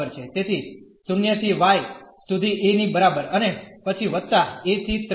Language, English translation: Gujarati, So, from 0 to y is equal to a, and then the plus from a to 3 a